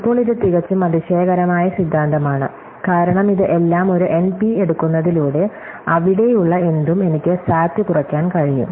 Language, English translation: Malayalam, Now, this is the rather amazing theorem, because this is that take everything an NP, anything there I can reduce the SAT